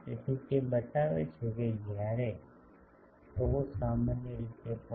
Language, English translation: Gujarati, So, it shows that where, when tau is typically 0